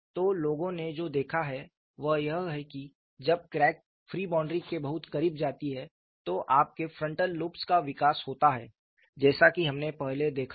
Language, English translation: Hindi, So, what people have noted is, when the crack goes very close to the free boundary, you have the frontal loops develop like what we had seen earlier